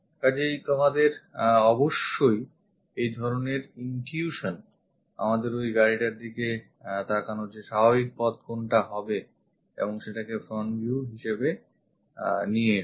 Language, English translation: Bengali, So, you have to have this kind of intuition what is our natural way of looking at that car and bring that one as the front view